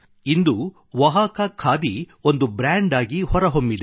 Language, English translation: Kannada, And now Oaxaca khadi has become a brand